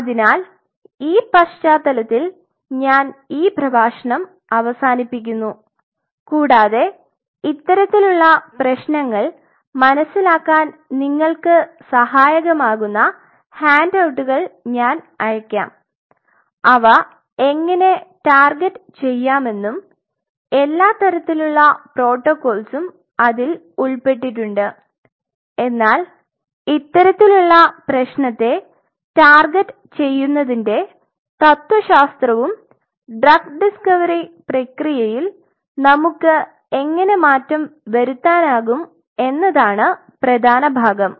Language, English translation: Malayalam, So, with this background with this aspect I will close in this lecture and I will send the handouts which will help you to appreciate these kinds of problems and how these could be targeted there are whole sorts of protocols which are involved in it, but the important part is to understand the philosophy of targeting this kind of problem and how we can make a difference in the drug discovery process